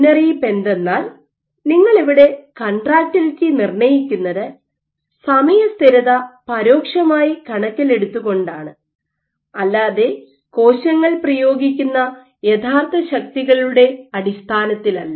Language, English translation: Malayalam, The caveat is, so one of the caveats is you are estimating contractility indirectly in terms of time constants and not in terms of actual amount of forces exerted by the cells